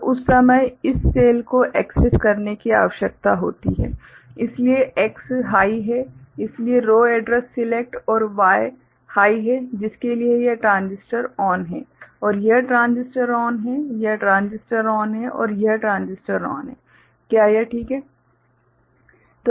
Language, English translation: Hindi, So, at that time of course, this cell need to be accessed, so X is high, so row address select and Y is high, so for which this transistor is ON and this transistor is ON, this transistor is ON and this transistor is ON, is it ok